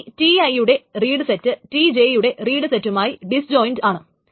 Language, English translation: Malayalam, But the end that the read set of TI is disjoint with the right set of TJ